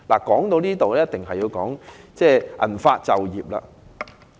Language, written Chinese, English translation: Cantonese, 說到這裏，不得不提銀髮就業的問題。, At this point I must talk about elderly employment